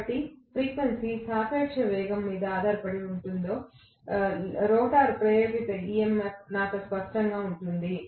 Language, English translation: Telugu, So, I will have clearly the induced EMF in the rotor that frequency will depend upon the relative velocity